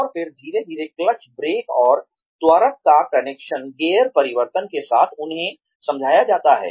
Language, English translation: Hindi, And then, slowly, the connection of the clutch, brake, and accelerator, with gear change, is explained to them